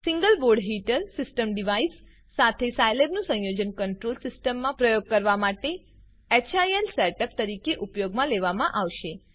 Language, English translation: Gujarati, Scilab in combination with Single Board Heater System device is used as a HIL setup for performing control system experiments